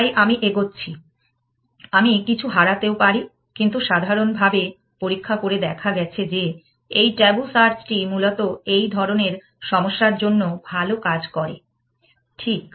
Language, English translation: Bengali, So, I am moving I might lose out on something, but in general, experimentally it has been found that, this tabu search works well with these kinds of problem essentially, right